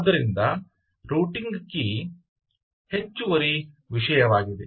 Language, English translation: Kannada, ok, so the routing key is an additional thing